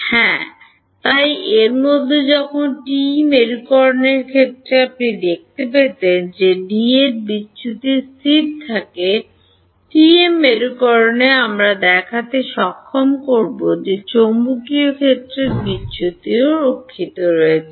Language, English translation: Bengali, Yeah, so in this is when the case of TE polarization you could show that del divergence of D remains constant, in the TM polarization we will be able to show that divergence of magnetic field remains conserved